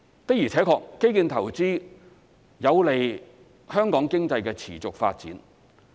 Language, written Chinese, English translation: Cantonese, 的而且確，基建投資有利香港經濟的持續發展。, It is true that investment in infrastructure is conducive to the sustainable development of the economy of Hong Kong